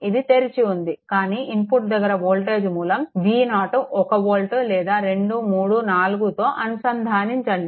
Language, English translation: Telugu, It is open right, but input what we have done is we have connected a voltage source V 0 is equal to 1 volt 1 2 3 4